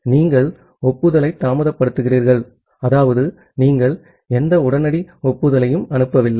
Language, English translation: Tamil, You are delaying the acknowledgement, that means, you are not sending any immediate acknowledgement